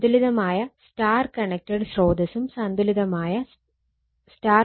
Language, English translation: Malayalam, So, balanced star connected source and star connected load